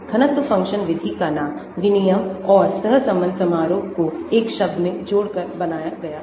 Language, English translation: Hindi, the name of the density function method is made by joining the exchange and the correlation function into one word